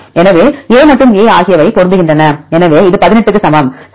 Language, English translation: Tamil, So, A and A are matching, so it is equal to 18, right